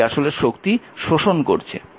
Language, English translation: Bengali, So, this power absorbed